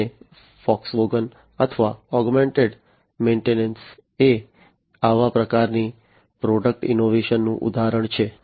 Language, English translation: Gujarati, And Volkswagen or augmented maintenance is an example of such kind of product innovation